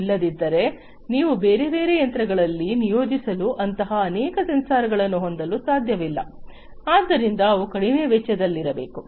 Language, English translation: Kannada, Otherwise you cannot have multiple such sensors to be deployed in different machines, so they have to be low cost